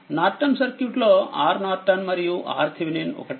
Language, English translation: Telugu, In the Norton circuit case R Norton and R Thevenin